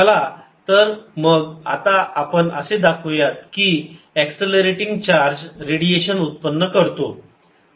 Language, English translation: Marathi, so now what we want to show is: and accelerating charge gives out radiation